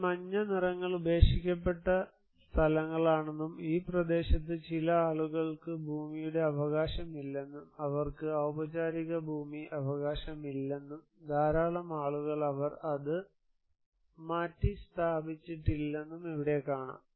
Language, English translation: Malayalam, You can see here that these yellow colours are abandoned places and some people who do not have any land rights in this area, no land rights, they do not have any formal land rights and many people they did not relocate it